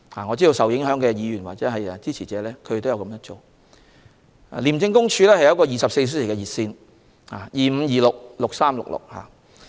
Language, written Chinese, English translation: Cantonese, 我知道受影響的議員及其支持者亦有這樣做，而廉政公署也提供24小時熱線，電話號碼是 2526,6366。, I know that the affected Members and their supporters have done so . The Independent Commission Against Corruption also provides a 24 - hour hotline 2526 6366